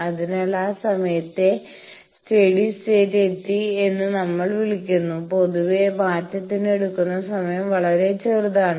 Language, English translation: Malayalam, So, that time we call steady state is reached, and generally the transient time is quite small